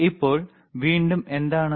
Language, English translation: Malayalam, Now, what is that again